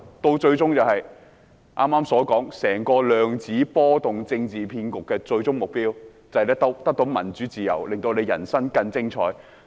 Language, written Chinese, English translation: Cantonese, 剛才說整個"量子波動政治騙局"的最終目標就是得到民主、自由，令大家人生更精彩。, The ultimate goal of the whole QSR political hoax mentioned earlier is to achieve democracy and freedom thereby making our lives more exciting